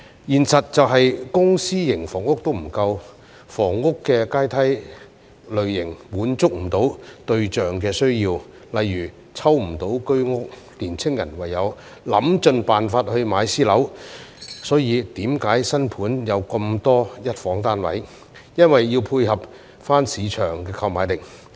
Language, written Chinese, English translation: Cantonese, 現實是，公私營房屋均不足夠，房屋階梯的類型滿足不到對象的需要，例如抽不到居屋，年青人唯有想盡辦法買私樓，所以為何新盤有這麼多一房單位，因為要配合市場的購買力。, The reality is that there is a shortage of both public and private housing and the types of housing ladder fail to meet the needs of the target group . For example young people being unable to buy HOS flats through ballot can only try every means to buy private flats . That is why there are so many one - room flats in new property developments because they have to match the purchasing power of the market